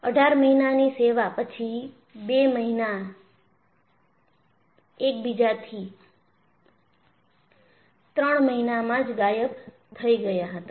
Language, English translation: Gujarati, After only 18 months of service,two aircrafts disappeared within three months of each other